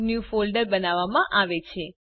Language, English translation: Gujarati, * A New Folder is created